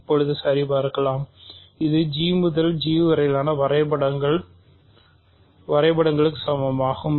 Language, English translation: Tamil, So, let us check now so, this is also an equality of maps of G to G